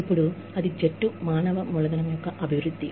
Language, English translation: Telugu, Now, that is the development of team human capital